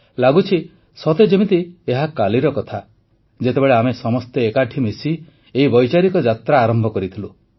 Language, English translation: Odia, It seems like just yesterday when we had embarked upon this journey of thoughts and ideas